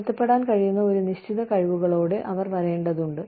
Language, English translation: Malayalam, They need to come with, a certain set of skills, that can be adapted